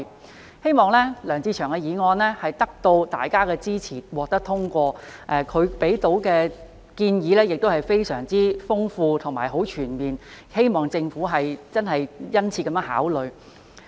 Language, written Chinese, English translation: Cantonese, 我希望梁志祥議員的議案能得到大家的支持，獲得通過；他提出的建議非常豐富和全面，希望政府能殷切考慮。, I hope that Mr LEUNG Che - cheungs motion will be supported and passed by Members . His suggestions are very rich and comprehensive in content and I hope that the Government can give them due consideration